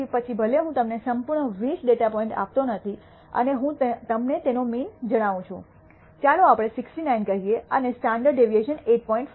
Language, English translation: Gujarati, So, even if I do not give you the entire 20 data points and I tell you the mean is, let us say 69 and the standard deviation is 8